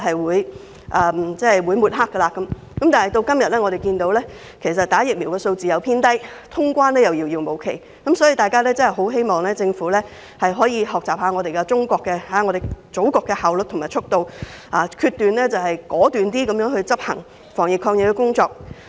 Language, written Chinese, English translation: Cantonese, 時至今日，香港接種疫苗的人數偏低，通關亦遙遙無期，我很希望政府可以學習中國、我們祖國的效率和速度，果斷地執行防疫抗疫工作。, Although the number of persons receiving vaccination in Hong Kong is still low and the resumption of the cross - boundary travel has been put off indefinitely I very much hope that the Government will learn from the efficiency and expediency of our Motherland China and act decisively in the fight against the epidemic